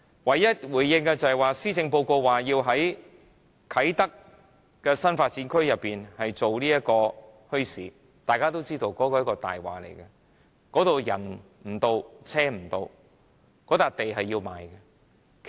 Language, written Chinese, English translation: Cantonese, 唯一的回應，是施政報告提議在啟德新發展區舉辦墟市，大家都知道那是一個謊話，那裏人不到、車不到，那幅地是要賣的。, What has this Government done? . Its only response was that the Policy Address proposed to establish a bazaar in the Kai Tak Development Area . We all know that this idea is simply impractical as the site is not easily accessible by transport